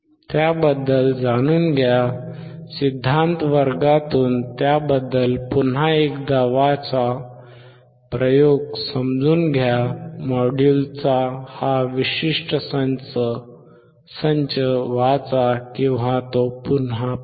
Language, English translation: Marathi, Learn about it, read about it once again from the theory class, understand the experiment, read this particular set of module or look at it